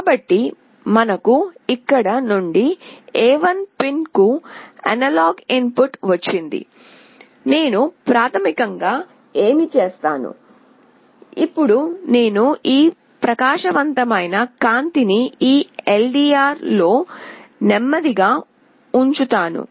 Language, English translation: Telugu, So, we have got the analog input from here to A1 pin, what I will do basically, now is that I will put this bright light in this LDR slowly